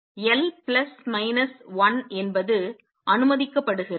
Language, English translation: Tamil, So, what we found is l plus minus 1 is allowed